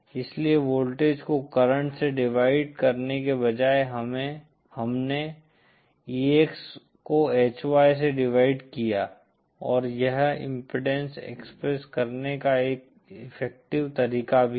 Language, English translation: Hindi, So here instead of voltage divided current, we have EX divided by HY and this is also an effective way of expressing impedance